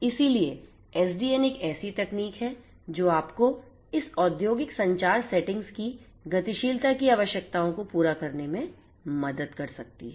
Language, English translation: Hindi, So, SDN is one such technology which can help you to address the requirements of dynamism that are there in most of this industrial communication settings